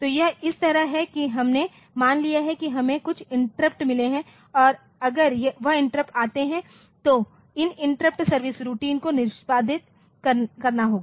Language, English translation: Hindi, So, it is like this that we have got suppose the we have got some interrupt and that if that interrupt occur so, these interrupt service routine has to be executed